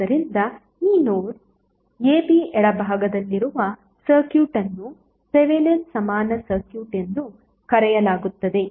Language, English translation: Kannada, So that circuit to the left of this the node a b is called as Thevenin equivalent circuit